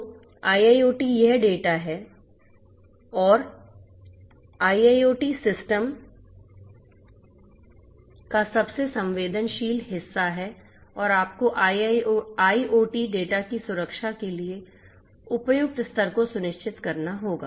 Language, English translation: Hindi, So, you have to so go to IIoT is this data and it is the most sensitive part of IIoT systems and you have to ensure suitable levels of protection of IoT data